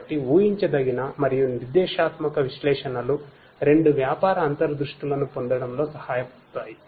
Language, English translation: Telugu, So, both predictive and prescriptive analytics can help in getting business insights and so on